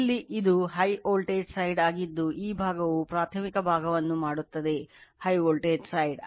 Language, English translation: Kannada, Here it is high voltage side just this is in this side your making primary side